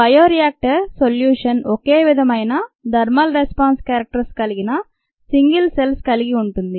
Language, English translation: Telugu, the solution in the bioreactor consists of single cells with similar thermal response characteristics